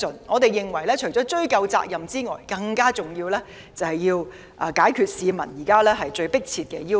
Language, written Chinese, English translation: Cantonese, 我們認為，除了追究責任外，更重要的是回應市民最迫切的要求。, In our view apart from pursuing responsibility it is more important to address the peoples most pressing demands